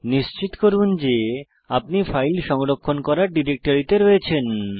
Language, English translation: Bengali, Make sure that you are in the directory in which you have saved your file